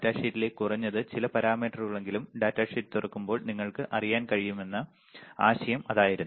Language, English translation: Malayalam, That was the idea that at least at least some of the parameters on the datasheet, when you open the datasheet you will be able to know